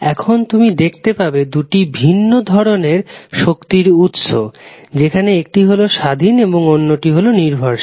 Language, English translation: Bengali, Now, you will see there are two different kinds of sources is independent another is dependent